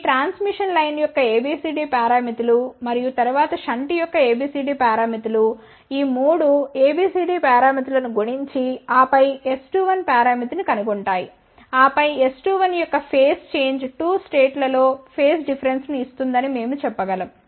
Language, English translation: Telugu, Those A B C D parameters of this transmission line and then A B C D parameters of the shunt multiply these 3 A B C D parameters and then find out S parameter and then we can say that phase change of S 2 1 in 2 states will give phase difference